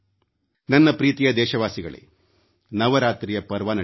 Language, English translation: Kannada, My dear countrymen, Navratras are going on